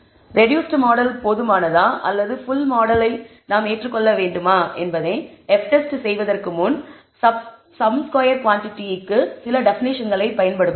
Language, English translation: Tamil, So, before performing the F test to check whether a reduced model is adequate or we should accept the full model we will use some definitions for sum squared quantities